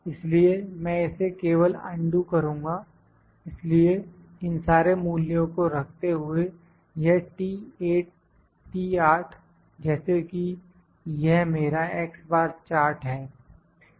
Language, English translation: Hindi, So, I will just undo this, so, as to keep all the values this T8 as this is my x bar chart